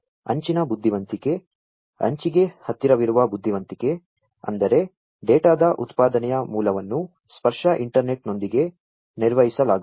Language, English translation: Kannada, So, edge intelligence, intelligence close to the edge; that means, the source of generation of the data are going to be performed with tactile internet